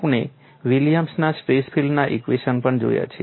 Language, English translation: Gujarati, We also looked at William stress field equations